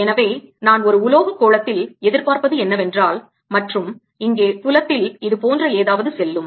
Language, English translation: Tamil, so this is what i would expect in a metallic sphere, and field out here would go something like this: what would happen in a dielectric